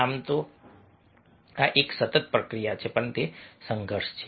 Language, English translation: Gujarati, so this is a continuous process